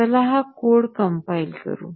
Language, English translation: Marathi, So, let us compile this code